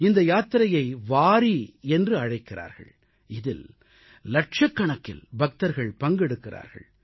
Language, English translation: Tamil, This yatra journey is known as Wari and lakhs of warkaris join this